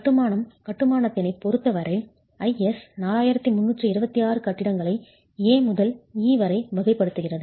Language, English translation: Tamil, IS 4326 as far as masonry constructions are concerned categorizes buildings from A to E